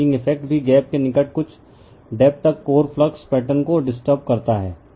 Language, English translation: Hindi, The fringing effect also disturbs the core flux patterns to some depth near the gap right